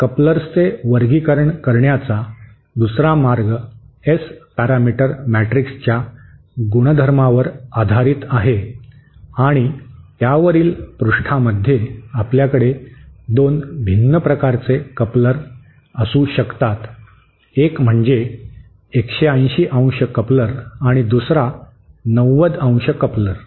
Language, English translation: Marathi, The other way of classifying couplers is based on a property in the S parameter matrix and page on this we can have 2 different types of couplers, one is called 180¡ coupler and the other is the 90¡ coupler